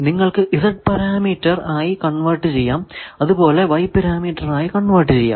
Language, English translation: Malayalam, So, this completes that we know now Z parameter you can convert through Z parameter you can convert to y parameter etcetera